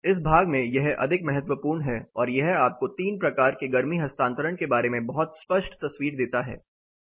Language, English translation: Hindi, In this set this is more critical and this gives you a very clear picture about 3 types of heat transfer